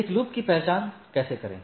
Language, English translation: Hindi, So, how to identify a loop